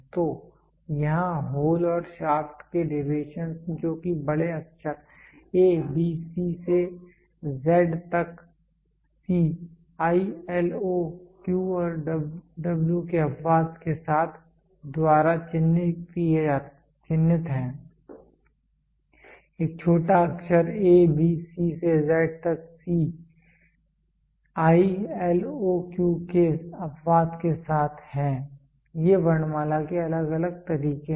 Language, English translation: Hindi, So, here the deviations of the hole and shaft which are marked by capital letter A B C to Z C (with the exception of I, L, O, Q and W) are the smallest letter a b c to z c (with the exception of i, l, o, q), so these are these are different ways of the alphabets are given